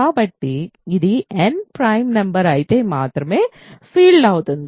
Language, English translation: Telugu, So, this is a field if and only if n is a prime number ok